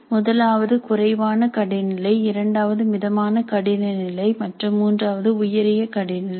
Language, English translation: Tamil, The first one is lower difficulty, second one is moderate difficulty and the third one is higher difficulty level